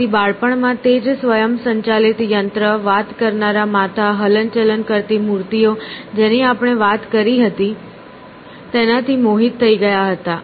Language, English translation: Gujarati, So, he as a child was fascinated by the same automaton, the kind of talking heads, moving figures that we talked about